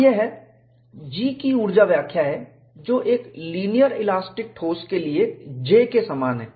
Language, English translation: Hindi, So, this is the energy interpretation of G, which is same as J for a linear elastic solid